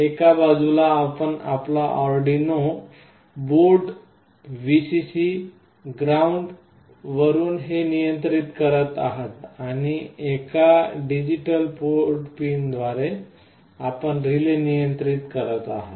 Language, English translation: Marathi, On one side you are controlling this from your Arduino board, Vcc, ground, and through a digital port pin you are controlling the relay